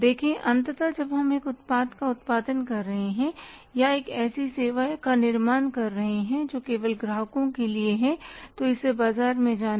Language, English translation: Hindi, See ultimately we are producing a product or generating a service that is only for the customers and it has to go to the market